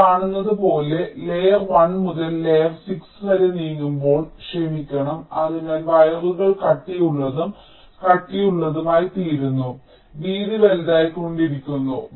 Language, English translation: Malayalam, so as you see that, as you are moving from layer one up to layer six, sorry, so the wires are becoming thicker and thicker, the width is becoming larger